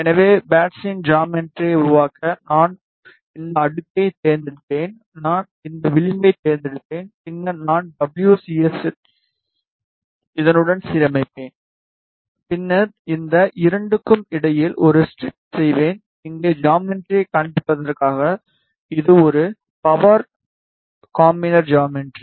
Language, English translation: Tamil, So, just to make the geometry of parts I will just select this layer I will select this edge and then I will align WCS with this, and then I will make a strip between these 2 just to show you the geometry here this is a geometry of power combiner